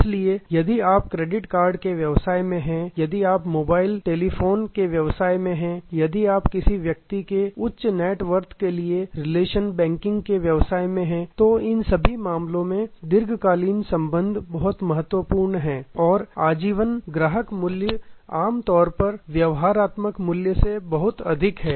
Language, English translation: Hindi, So, if you are in the business of credit card, if you are in business of mobile telephony, if you are in the business of relationship banking for high net worth individual, in all these cases long term relationships are crucial and the life time value of the customer are normally much higher than transactional value